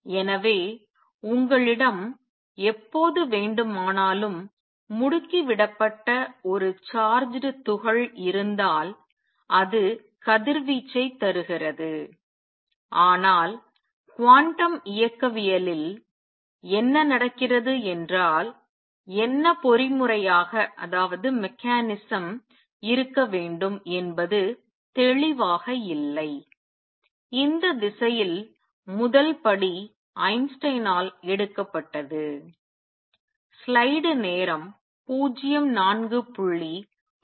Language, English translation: Tamil, So, anytime you have a charged particle at accelerate it gives out radiation, but what happens in quantum mechanics what should be the mechanism and that was not clear and the first step in this direction was taken by Einstein